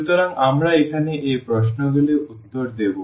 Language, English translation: Bengali, So, we will answer these questions here